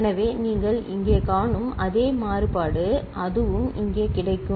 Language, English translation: Tamil, So, the same variation that you see over here, so that will also be available here